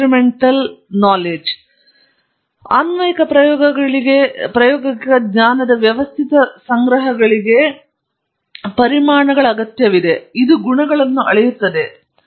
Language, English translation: Kannada, The second is systematic gathering of empirical knowledge for applications this is measuring properties